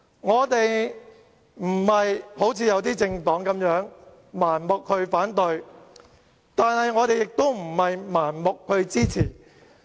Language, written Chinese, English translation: Cantonese, 我們並不像有些政黨般盲目反對，但我們也不是盲目支持。, Unlike some political parties which blindly opposed all proposals we did not blindly support all proposals either